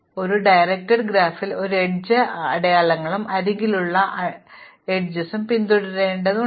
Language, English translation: Malayalam, So, in a directed graph we need to follow the edge arrows, arrows along the edges